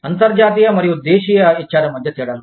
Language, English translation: Telugu, Differences between, international and domestic HRM